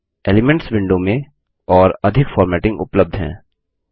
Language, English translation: Hindi, More formatting is available in the Elements window